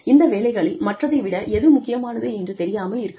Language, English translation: Tamil, And, may not realize, which of these jobs is, more important than the other